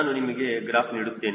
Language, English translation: Kannada, i am giving you that graph